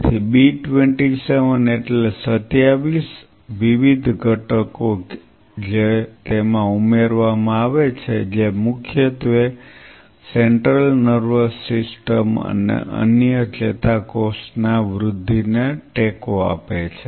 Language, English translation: Gujarati, So, B27 stands for 27 different components which are added to it which primarily supports central nervous system and other neuron growth